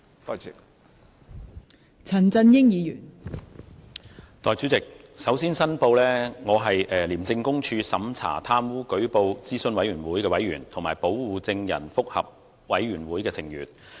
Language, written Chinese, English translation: Cantonese, 代理主席，首先申報，我是廉署審查貪污舉報諮詢委員會委員及保護證人覆核委員會成員。, Deputy President first I must declare that I am a member of the ICAC Operations Review Committee and the ICAC Witness Protection Review Board